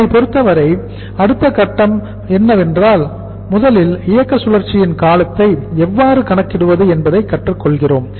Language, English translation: Tamil, For us that will be the next stage to learn but first we are learning how to calculate the duration of the operating cycle